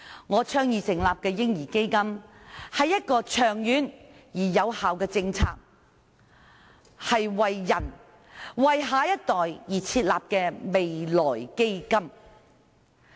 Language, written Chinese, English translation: Cantonese, 我倡議成立的"嬰兒基金"，是一項長遠而有效的政策，是為人、為下一代而設立的未來基金。, My proposed establishment of a baby fund is a long - term and effective policy . It is also a future fund established for the people including the next generation